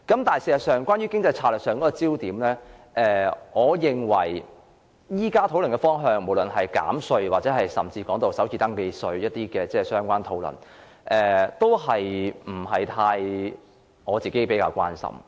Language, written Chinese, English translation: Cantonese, 但事實上，關於經濟策略上的焦點，我認為現時討論的方向，不論是減稅或首次登記稅的相關討論，我個人不會太關心。, Actually I am not concerned about the economic strategy irrespective of whether the direction of the discussion focuses on the tax reduction or the first registration tax